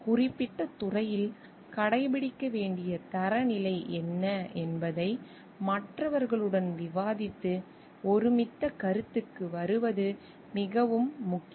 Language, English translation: Tamil, It is very important that we discuss with others and come to a consensus what is the standard needs to be followed in the particular departments